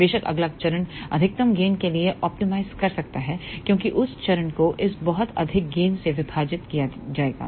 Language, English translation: Hindi, Of course, the next stage one can optimize for maximum gain because that stage will be divided by this very high gain